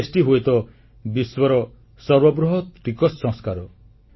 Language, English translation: Odia, GST is probably be the biggest tax reform in the world